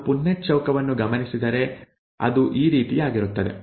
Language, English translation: Kannada, If we work out the Punnett square, it is going to be something like this